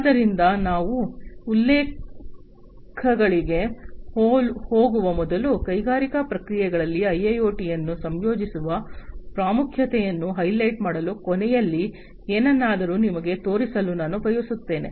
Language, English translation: Kannada, So, before we go to the references, I wanted to show you something at the end to highlight the importance of the incorporation of IIOT in the industrial processes